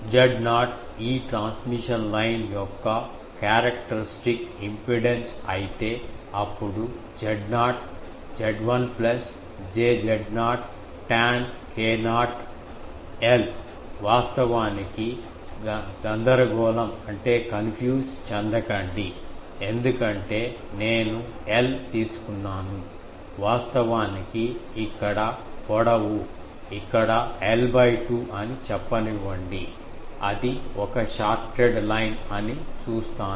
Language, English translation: Telugu, Can I write if Z not is the characteristic impedance of this transmission line, then Z not, Z l plus j Z not tan k not l, actually l will confuse because I have taken l, let me say that actually here the length is here l by 2 this is a shorted line am looking that